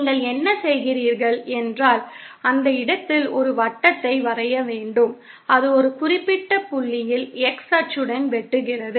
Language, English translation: Tamil, What you do is you draw a circle on that point which intersects the x axis at a certain point